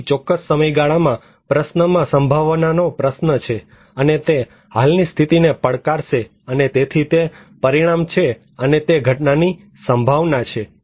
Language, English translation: Gujarati, So there is a probability question in a particular time question, and it would challenge the existing situation, and so it is a consequence and is the event probability